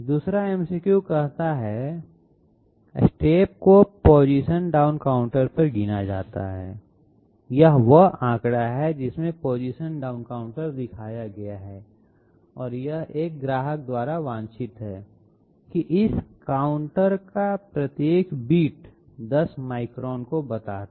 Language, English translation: Hindi, The 2nd MCQ says, the steps are counted down in a position down counter, this is the figure in which the position down counter is shown and it is desired by a customer that each bit of this counter represent 10 microns